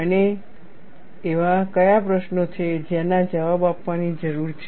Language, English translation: Gujarati, And what are the questions that need to be answered